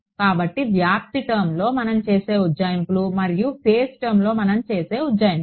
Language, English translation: Telugu, So, the approximations that we make in the amplitude term and the approximations we make in the phase term